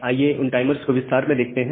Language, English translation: Hindi, So, let us look into those timers in detail